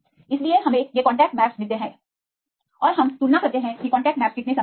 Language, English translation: Hindi, So, we get these contact maps and we compare how far the contacts maps are similar